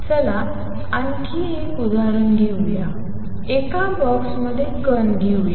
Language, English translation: Marathi, Let us take another example let us take particle in a box